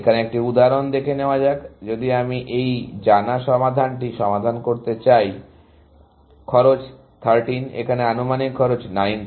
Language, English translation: Bengali, To see an example here, if I want to expand this known solution, is cost 13, this estimated cost is 19